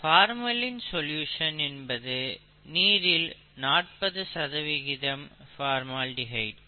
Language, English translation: Tamil, Formalin solution is nothing but forty percent formaldehyde in water, okay